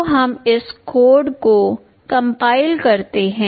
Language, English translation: Hindi, So, let us compile this code